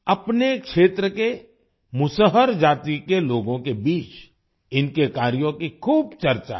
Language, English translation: Hindi, There is a lot of buzz about his work among the people of the Musahar caste of his region